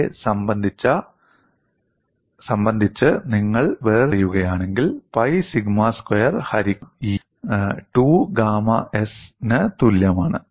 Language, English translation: Malayalam, If you differentiate with respect to 2a, you will get this as pi sigma squared a divided by E equal to 2 gamma s